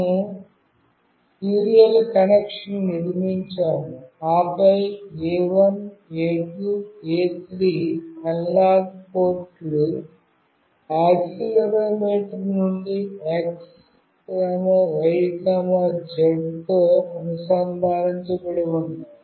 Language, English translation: Telugu, We have built a serial connection, then A1, A2, A3 analog ports are connected with X, Y, Z out of the accelerometer